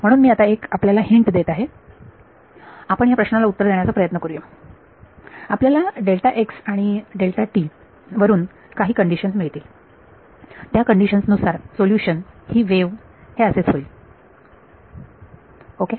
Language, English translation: Marathi, So, I will give you a hint when we try to answer this question we will get some condition on delta x and delta t which will and under those conditions the solution is a wave that is what we will happen ok